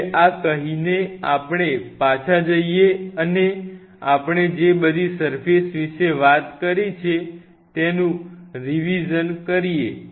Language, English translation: Gujarati, Now, having said this now let us go back and revisit what all surfaces we have talked about